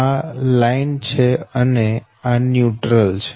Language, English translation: Gujarati, this is the line and this is the neutral